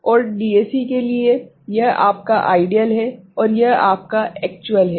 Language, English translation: Hindi, And for DAC, so this is your ideal, and this is your actual ok